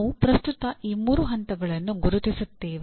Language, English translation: Kannada, We will presently identify those three levels